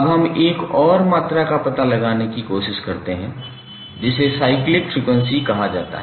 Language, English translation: Hindi, Now let's try to find out another quantity which is called cyclic frequency